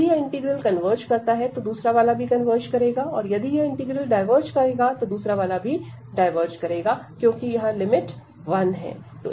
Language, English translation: Hindi, If this integral of converges, the other one will also converge; if this diverges, other one will also diverge because of this limit is one here